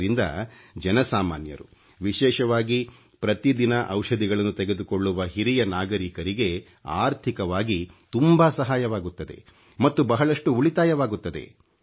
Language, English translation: Kannada, This is great help for the common man, especially for senior citizens who require medicines on a daily basis and results in a lot of savings